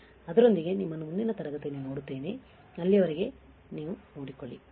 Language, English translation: Kannada, With that I will see you in the next class till then you take care, bye